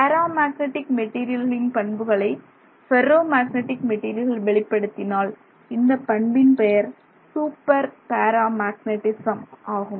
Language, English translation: Tamil, This idea that a ferromagnetic material shows you behavior that is similar to a paramagnetic material is referred to as super paramagneticism